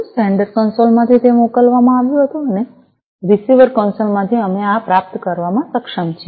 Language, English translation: Gujarati, So, from the sender console it was sent and from the receiver console we are able to receive this